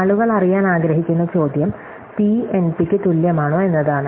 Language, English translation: Malayalam, So, the question that people want to know is whether P is equal to NP